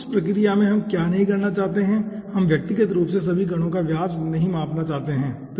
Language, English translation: Hindi, in that process, what we did not want to do individually, all the particles diameter, we do not to measure, okay